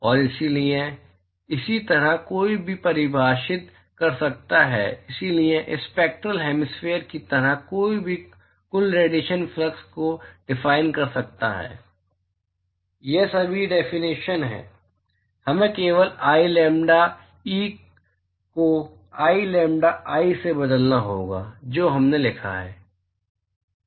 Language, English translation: Hindi, And so, similarly one could also define, so like Spectral hemispherical, one could also define a total irradiation flux, all these are definition, we just have to replace i lambda e with i lambda i, in all the integrals that we wrote